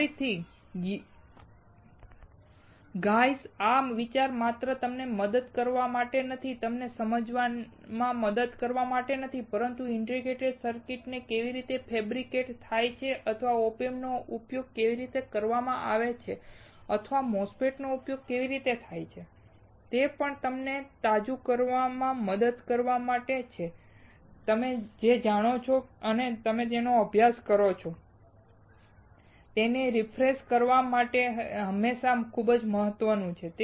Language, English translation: Gujarati, Again, the idea is not only to help you guys or to help you to understand, but how the integrated circuits are fabricated or how the OP Amps are used or how the MOSFETS are used, but also to help you to refresh; It is very important always to keep on refreshing what you know and what you have studied